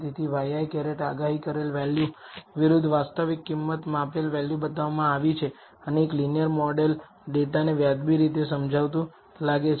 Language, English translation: Gujarati, So, the actual price measured value versus the y i hat the predicted value is shown and a linear model seems to explain the data reasonably well